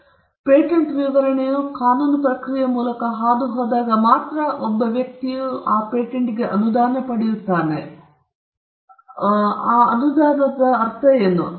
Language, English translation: Kannada, Only when the written part, that is patent specification, goes through the process of prosecution, does a person get a grant; when we mean by a grant